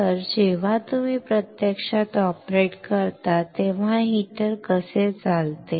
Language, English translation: Marathi, So, when you actually operate this is how the heater is operating